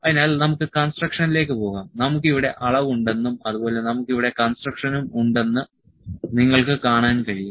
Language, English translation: Malayalam, So, we can go to construction you can see we have measure here measure and we have construction here